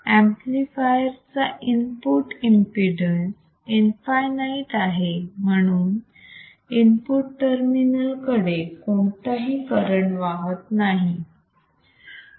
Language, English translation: Marathi, As a input impedance of the amplifier is infinite, there is no current flowing towards the input terminals